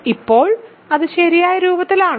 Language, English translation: Malayalam, Now, is that in the correct form